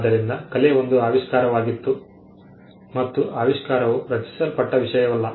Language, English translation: Kannada, So, art was a discovery and discovery is not something that was created